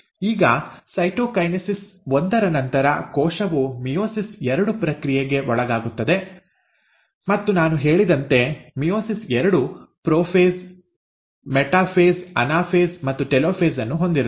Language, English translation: Kannada, Now, after cytokinesis one, the cell then undergoes the process of meiosis two, and meiosis two again, as I said, contains prophase, metaphase, anaphase and telophase